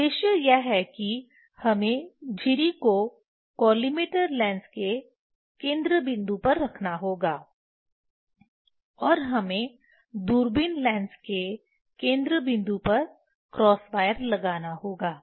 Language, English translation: Hindi, Purpose is that these we have to put the slit at the focal point of the collimator lens and we have to put cross wire at the focal point of the telescope lens